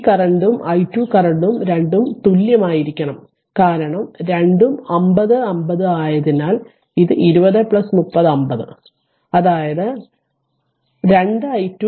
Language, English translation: Malayalam, Because both current this current and i 2 current both have to be same because both are 50 50 because 20 plus 30 50 ohm; that means, 2 i 2 is equal to your i 1